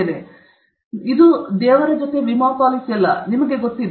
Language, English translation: Kannada, So, it is not an insurance policy, you know